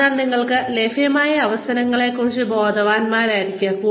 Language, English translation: Malayalam, So, be aware of the opportunities, available to you